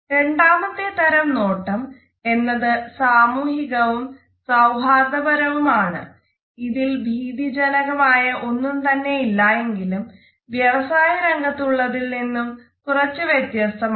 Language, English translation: Malayalam, The second type of a gaze is the social and the friendly gaze, it is also a nonthreatening gaze, but it is slightly more released in comparison to the business gaze